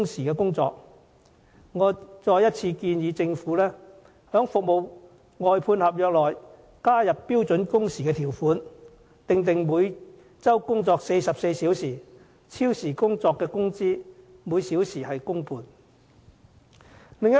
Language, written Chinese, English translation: Cantonese, 我再次建議政府在服務外判合約裏加入標準工時的條款，訂定每周工作44小時，超時工作的工資每小時按工半計算。, Again I propose that the Government should include a term on standard working hours in contracts for outsourced services stipulating a standard workweek of 44 hours with overtime pay calculated at one and a half of the hourly wage rate